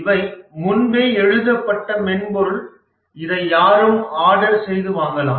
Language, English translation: Tamil, These are pre written software available for everybody